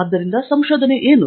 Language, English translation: Kannada, So, what is research